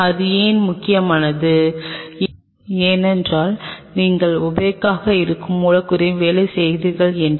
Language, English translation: Tamil, Why that is important because if you are working on substrate which are opaque